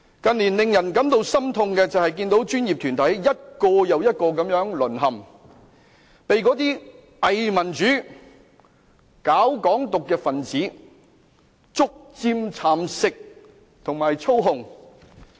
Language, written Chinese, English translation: Cantonese, 近年令人感到心痛的是，看到專業團體一個又一個地淪陷，被那些偽民主、搞"港獨"的分子逐漸蠶食和操控。, The Progressive Lawyers Group team B of Civic Party causes divides among professional barristers . More distressing is that in recent years professional groups collapsed one after another . They were gradually eaten up and controlled by fake democrats and pro - independence supporters